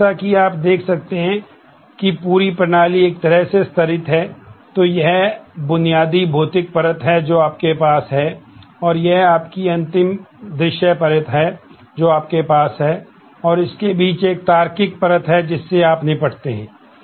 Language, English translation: Hindi, So, as you can see that, the whole system is kind of layered in terms of so, this is your basic physical layer that you have, and this is your final view layer that you have and in between this is a logical layer, that you deal with